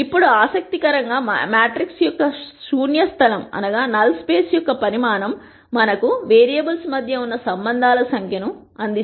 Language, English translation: Telugu, Now interestingly the size of the null space of the matrix provides us with the number of relationships that are among the variables